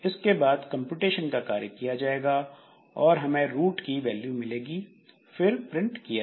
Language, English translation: Hindi, After that it will do some computation, then it will be computed, it will be getting the roots and printing it